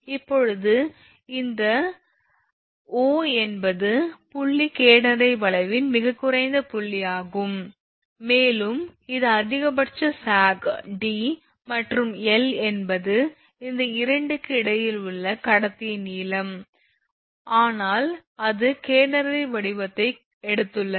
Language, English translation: Tamil, Now, this O this is the O is the point is the lowest point on the catenary curve right, this is the lowest point at the catenary curve and this d is the maximum sag d is the maximum sag right, and l is be the length of the conductor between these 2, but it is it has taken a your catenary shape